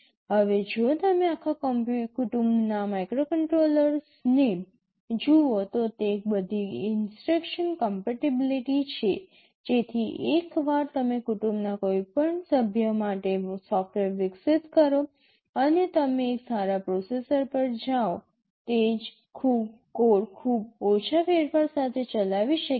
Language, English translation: Gujarati, Now, if you look at the microcontrollers across the family they are all instruction set compatible so that once you develop software for one member of the family, and you move to a better processor, the same code can run or execute with very little modification